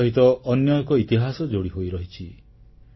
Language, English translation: Odia, There is another chapter of history associated with Punjab